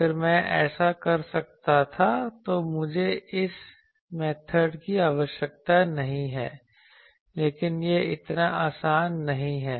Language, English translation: Hindi, If I could do that then I need not have this method, but that is not so easy because you see here